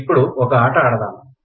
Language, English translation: Telugu, Now let us play a game